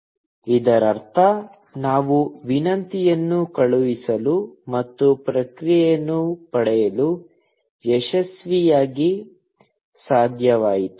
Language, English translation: Kannada, It means that, we were successfully able to send the request and get a response